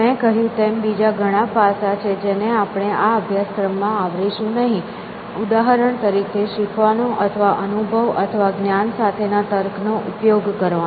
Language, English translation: Gujarati, As we said, there are many other aspects that we will not cover in this course for example, learning or using experience or reasoning with knowledge